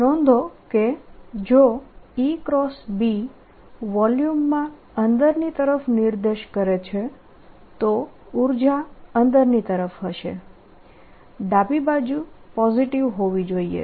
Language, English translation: Gujarati, notice that if e cross b is pointing into the volume, energy will be going in the left hand side should be positive